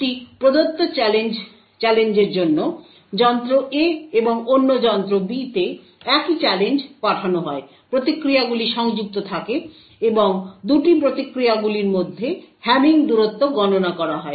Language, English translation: Bengali, For a given challenge, the same challenge sent to the device A and in other device B, the responses are connected and the hamming distance between the 2 responses is computed